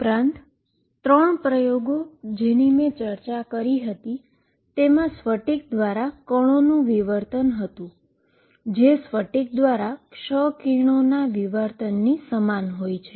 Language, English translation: Gujarati, And 3 experiments that I had discussed was diffraction of particles from a crystal, which is similar to diffraction of x rays from a crystal